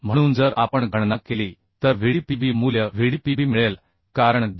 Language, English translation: Marathi, 606 so now we can find out the value of Vdpb So Vdpb value if we calculate will get Vdpb as 2